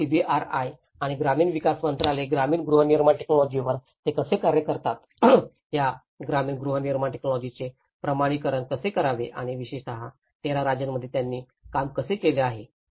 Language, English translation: Marathi, And the CBRIs and the ministry of rural development, how they work on the rural housing technologies, how to validate these rural housing technologies and especially, in the 13 states, which they have already worked on